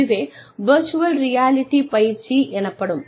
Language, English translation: Tamil, And, that is virtual reality training